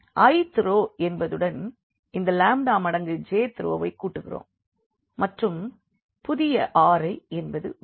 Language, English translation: Tamil, So, the i th row we have added this lambda times this j th row and the new R i will come up